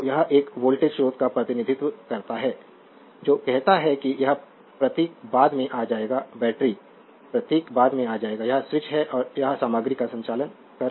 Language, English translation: Hindi, So, this is a voltage source representing says battery this symbol will come later battery symbol will come later this is the switch and this is conducting material